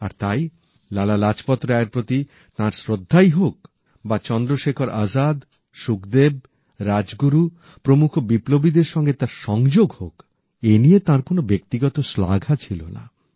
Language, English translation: Bengali, Be it his devotion towards Lala Lajpat Rai or his camaraderie with fellow revolutionaries as ChandraShekhar Azad, Sukhdev, Rajguru amongst others, personal accolades were of no importance to him